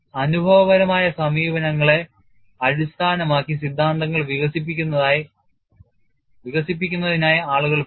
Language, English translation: Malayalam, People have gone for developing theories based on empirical approaches we would also see that